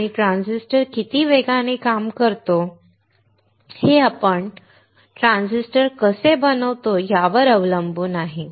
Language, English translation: Marathi, And how fast a transistor works depends on how we fabricate the transistor